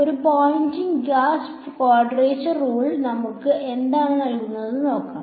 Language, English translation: Malayalam, Let us see what a 2 point Gauss quadrature rule gives us